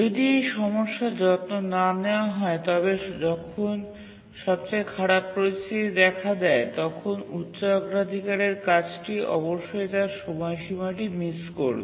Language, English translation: Bengali, If the problem is not taken care, then in the worst case, when the worst case situation arises, definitely the high priority task would miss its deadline